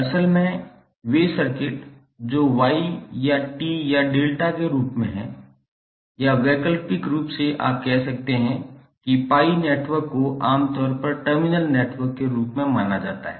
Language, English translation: Hindi, Basically, those circuits which are in the form of Y or t or delta or alternatively you could pi networks are generally considered as 3 terminal networks